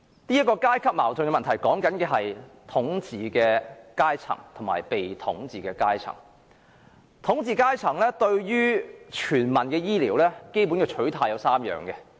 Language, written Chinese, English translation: Cantonese, 所謂階級矛盾是指統治階層及被統治階層，而統治階層對全民醫療服務的基本取態有三。, This problem of class contradiction involves the rulers and the ruled and there are three types of basic attitudes adopted by the ruling class towards primary health care services